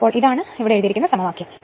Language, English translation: Malayalam, So, that is your what you have written here what we have written here right this is the equation